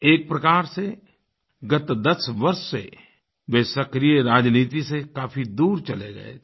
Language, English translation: Hindi, In a way, he was cutoff from active politics for the last 10 years